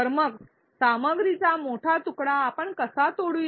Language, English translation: Marathi, So, how do we break a longer piece of content